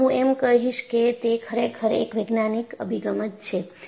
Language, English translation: Gujarati, And I would say, it is really a scientific approach